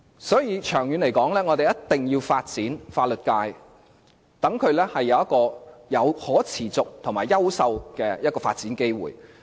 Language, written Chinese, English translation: Cantonese, 所以，長遠而言，我們一定要發展法律界，讓法律界能夠有可持續及優秀的發展機會。, Therefore in the long term we must develop the legal sector to provide it with sustainable and excellent opportunities for development